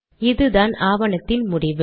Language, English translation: Tamil, This is the end of the document